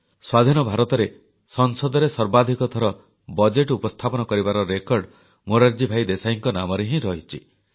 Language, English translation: Odia, In Independent India, the record of presenting the budget the maximum number of times is held by Morarjibhai Desai